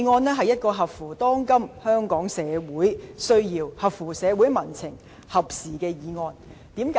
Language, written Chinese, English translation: Cantonese, 這是一項合乎當今香港社會需要、合乎社會民情和合時的議案。, It is a motion timely raised and befitting the current needs of Hong Kong society as well as the public sentiments